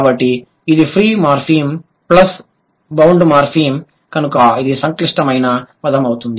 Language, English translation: Telugu, So, if the word has only one morphem, it is a free morphem and that is a simple word